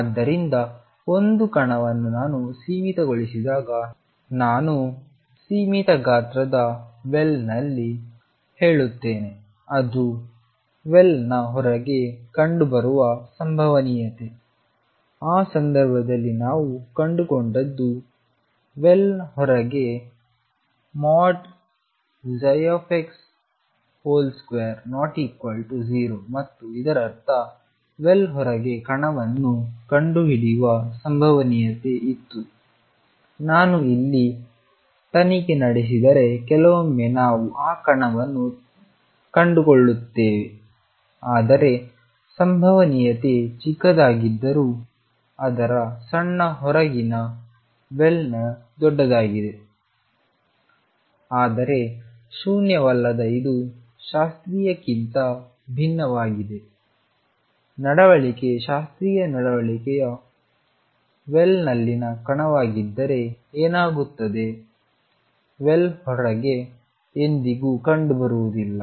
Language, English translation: Kannada, So, when a particle is confined and I confined; I will say in quotes in a finite size well, there is a probability that it is found outside the well in that case what we found is psi x square was not equal to 0 outside the well and; that means, there was a probability of finding the particle outside the well, if I probed here or probed here sometimes I would find that particle although the probability is small is largest in the well outside its small, but non zero this is different from classical behavior what happens if classical behavior is a particle in a well will never be found outside the well